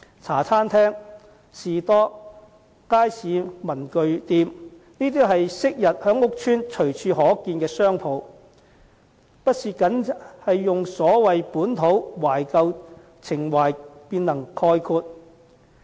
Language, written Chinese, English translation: Cantonese, 茶餐廳、士多、街坊文具店，也是昔日在屋邨隨處可見的商鋪，並非單純以所謂"本土"、"懷舊"情懷便能概括。, Hong Kong - style cafes stalls and neighbourhood stationery shops were shops commonly found in public housing estates in the past which should not be glibly concluded as the so - called localist and nostalgia sentiments